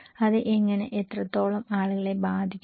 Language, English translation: Malayalam, How and what extent it affects people